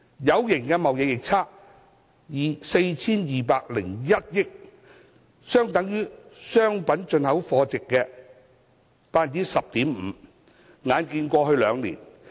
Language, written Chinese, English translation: Cantonese, 有形貿易逆差達 4,201 億元，相當於商品進口貨值的 10.5%。, A visible trade deficit of 420.1 billion was registered equivalent to 10.5 % of the value of imports of goods